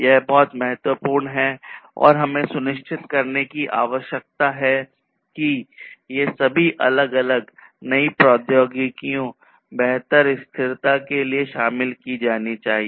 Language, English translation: Hindi, So, these are very important and so, what we need to ensure is that all these different newer technologies should be included in order to have better sustainability